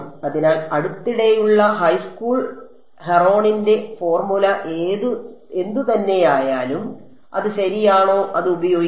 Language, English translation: Malayalam, So, we can use whatever recent high school Heron’s formula whatever it is right